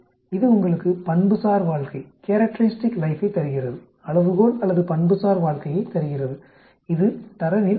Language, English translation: Tamil, It gives you characteristic life, the scale or characteristic life and it is the 63